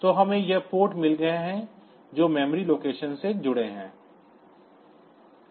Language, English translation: Hindi, So, we have got these ports also they are they are also associated in memory location